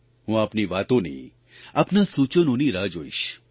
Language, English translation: Gujarati, I will wait for your say and your suggestions